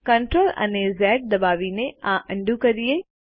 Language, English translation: Gujarati, Lets undo this by pressing CTRL and Z keys